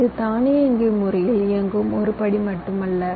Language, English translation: Tamil, it is not just a single step which is automated